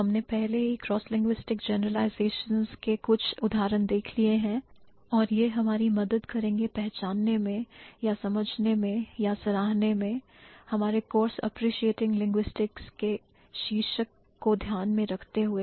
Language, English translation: Hindi, We have already had a couple of examples of the cross linguistic generalizations and this will help us to identify or to understand or to appreciate, considering the title of the course is appreciating linguistics, so it's going to help us to appreciate the discipline in a better way